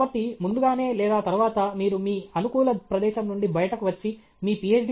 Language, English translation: Telugu, So, sooner than later you have to come out of your comfort zone and leave your Ph